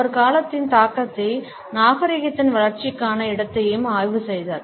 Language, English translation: Tamil, He studied the impact of time as well as space for the development of civilization